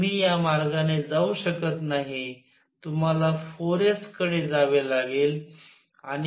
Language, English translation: Marathi, You cannot go this way; you have to go to 4 s